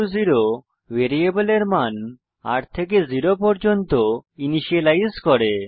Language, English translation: Bengali, $r=0 initializes the value of variable r to zero